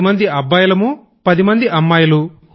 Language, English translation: Telugu, We were 10 boys & 10 girls